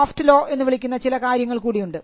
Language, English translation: Malayalam, And you have something called the soft law